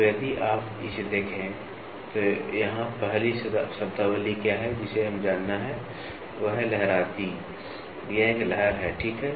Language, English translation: Hindi, So, if you look at it, so here is what is the first terminology which we have to know is waviness, this is a waviness, ok